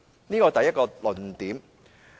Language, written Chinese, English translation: Cantonese, 這是第一個論點。, This is the first argument